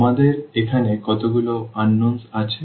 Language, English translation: Bengali, How many unknowns do we have here